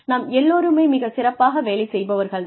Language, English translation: Tamil, All of us may be excellent performers